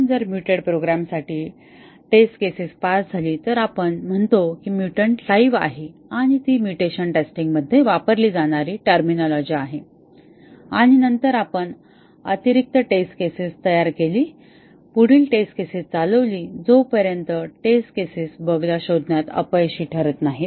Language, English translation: Marathi, So, if the test cases pass for a mutated program, we say that the mutant is alive and that is the terminology used in mutation testing and then, we designed additional test cases, run further test cases until a test case fails flagging the bug that was introduced